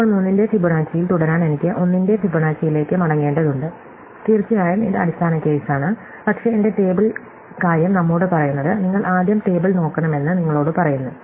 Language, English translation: Malayalam, Now, to continue with Fibonacci of 3 I need to go back to Fibonacci of 1, of course, it is the base case, but what my table thing tells us, tells you is that you should look at the table first